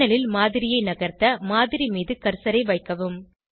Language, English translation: Tamil, To move the model on the panel, place the cursor on the model